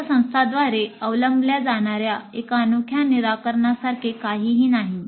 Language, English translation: Marathi, There is nothing like one unique solution which can be adopted by all institutes